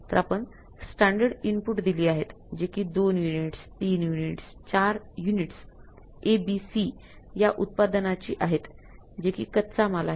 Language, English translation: Marathi, See what can be there possibility that we have given the standard input, two units, three units, four units of A, B and C products and that the raw materials